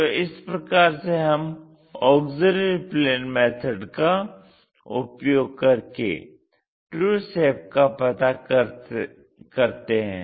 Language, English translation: Hindi, This is the way we construct these true shapes for the by using auxiliary plane method